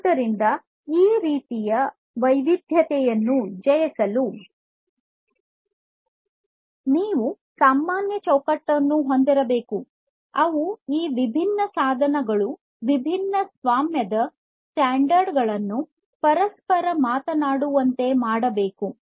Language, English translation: Kannada, So, you need to you need to in order to conquer this kind of heterogeneity; you need to have a common framework which will, which will make these disparate devices following different proprietary standards talk to each other